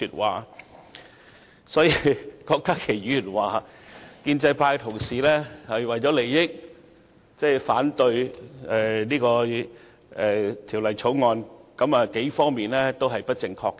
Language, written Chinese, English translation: Cantonese, 但是，郭家麒議員說建制派同事為了利益而反對《2017年應課稅品條例草案》，有數方面是不正確的。, But Dr KWOK Ka - ki did commit a number of errors when accusing colleagues from the pro - establishment camp of objecting the Dutiable Commodities Amendment Bill 2017 the Bill out of self - interest